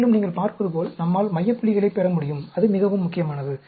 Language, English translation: Tamil, And, also you can see, we can get center points; that is very very important